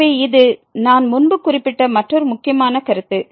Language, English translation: Tamil, So, this is another important remark which I have mentioned before